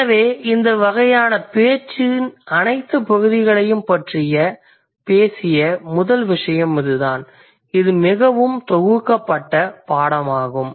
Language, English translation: Tamil, So that's the first thing which actually talked about all these kinds of parts of speech and it's a most compiled version